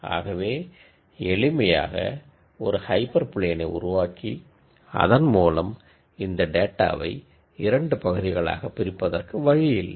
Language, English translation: Tamil, So, there is no way in which I can simply generate a hyper plane that would classify this data into 2 regions